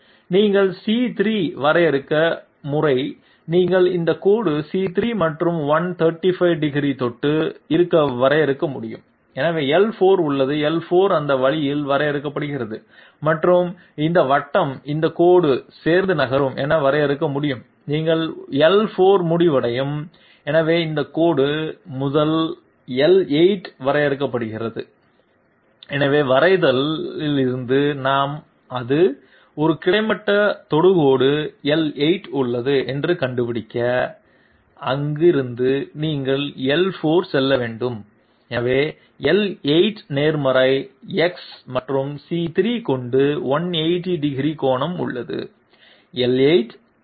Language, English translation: Tamil, Once you define C3, you can define this line to be touching C3 and at 135 degrees, so there is L4, L4 is defined that way and this circle can be defined as moving along this line, you end up in L4, so this line has to be 1st defined as L8, so from the drawing we find that it has a horizontal tangent L8, from there you want to move to L4 and therefore, L8 is having 180 degrees angle with positive X and C3 is defined as L8, L4 R 19